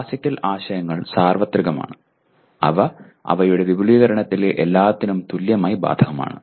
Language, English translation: Malayalam, Classical concepts are universal in that they apply equally to everything in their extension